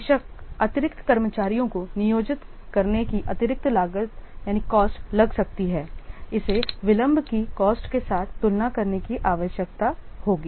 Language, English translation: Hindi, Of course the additional cost of the employing extra staff it would need to be compared with the cost of delayed